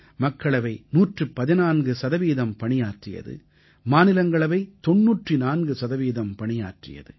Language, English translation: Tamil, Lok sabha's productivity stands at 114%, while that of Rajya Sabha is 94%